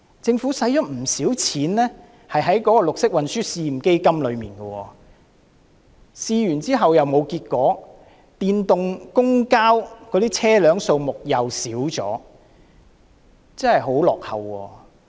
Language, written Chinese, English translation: Cantonese, 政府花了不少錢在綠色運輸試驗基金上，試驗後卻沒有結果，電動公共交通工具的車輛數目亦減少了。, Though the Government has spent a lot of money on the Pilot Green Transport Fund the trial test has failed to yield any result afterwards and there is even a drop in the number of electric vehicles in the public transport sector